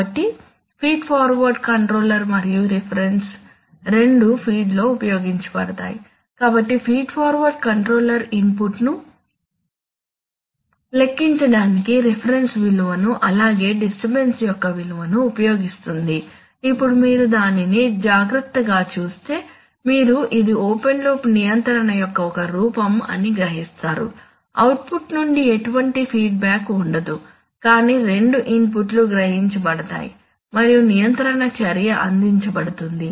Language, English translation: Telugu, So the feed forward controller and the reference are both used in the feed, so the feed forward controller utilizes the value of the reference as well as the value of the disturbance to compute the input, now if you see it carefully, you will realize that it is a form of open loop control, there is no, there is no feedback from the output but rather the two inputs are sensed and a control action is provided